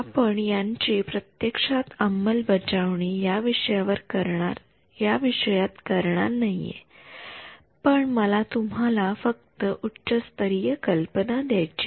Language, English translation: Marathi, So, we are not actually going to implement this in this course, but I just want to give you the high level idea